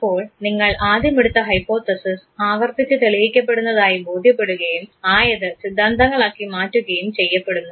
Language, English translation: Malayalam, So, hypothesis that you initially made once you realize that repeatedly the hypothesis gets proven this hypothesis gets converted into theories